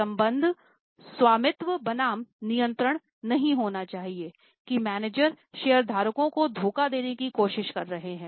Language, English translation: Hindi, The relationship should not be ownership versus control that managers are trying to cheat the shareholders